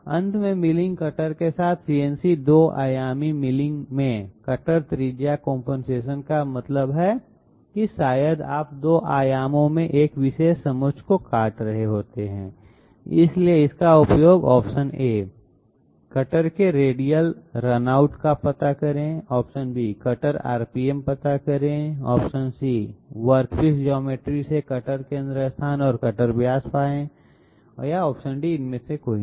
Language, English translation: Hindi, Cutter radius compensation in CNC 2 dimensional milling with end milling cutter that means maybe you are cutting all around a particular contour in 2 dimensions, so it is used to Determine radial run out of cutters, Determine the cutter RPM, find cutter centre locus from work piece geometry and cutter diameter, none of the others